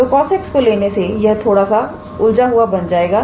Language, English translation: Hindi, So, having cos x would complicate a little bit